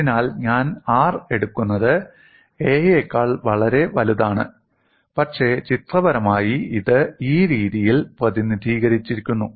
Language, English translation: Malayalam, So I take r is much greater than a, but pictorially it is represented in this fashion